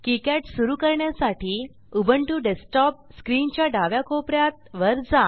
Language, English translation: Marathi, To start KiCad, Go to top left corner of ubuntu desktop screen